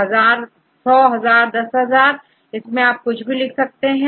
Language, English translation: Hindi, In 100 or 10,000 1,000 anything you write right